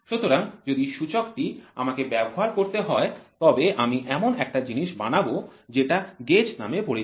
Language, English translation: Bengali, So, if the indicator I have to do then I would try to establish something called as gauges